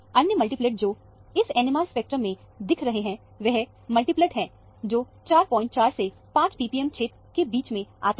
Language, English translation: Hindi, The other multiplet that is seen here in the NMR spectrum is the multiplets which are in the region between 4